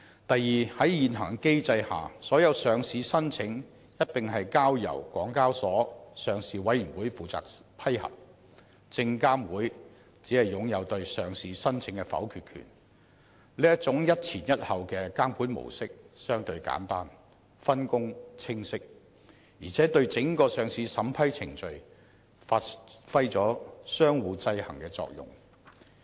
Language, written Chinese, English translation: Cantonese, 第二，在現行機制下，所有上市申請一併交由港交所的上市委員會負責批核，證監會只擁有對上市申請的否決權，這種"一前一後"的監管模式相對簡單，分工清晰，而且對整個上市審批程序發揮相互制衡的作用。, Secondly under the existing structure all listing applications will be vetted and approved by the Listing Department of HKEx and SFC only has the power to reject such applications . This monitoring mode of subjecting all applications to oversight by one regulator and then the other is relatively simple since the division of duties between the two regulators is clear and check and balance can be exercised on the overall arrangements for vetting and approving listing applications